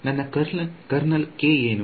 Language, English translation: Kannada, What is my kernel K